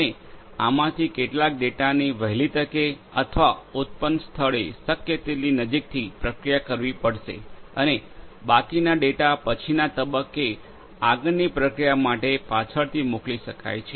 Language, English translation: Gujarati, And some of this data will have to be processed as soon as or as close as possible to the point of generation and the rest of the data can be sent for further processing at a later point in time